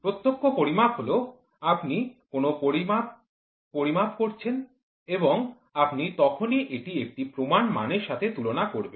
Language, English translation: Bengali, Direct measurement is you measure a quantity and you quickly compare it with a standard